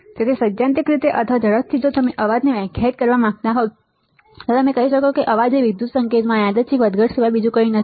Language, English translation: Gujarati, So, in theory or quickly if you want to define noise, then you can say that noise is nothing but a random fluctuation in an electrical signal all right